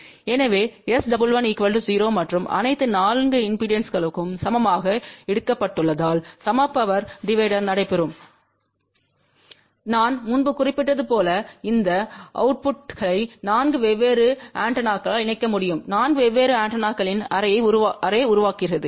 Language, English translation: Tamil, So that means S 11 will be equal to 0 and since all the 4 impedances have been taken equal, so equal power division will take place and as I mentioned earlier theseoutputs can be connected to 4 different antennas and that will form an array of 4 different antennas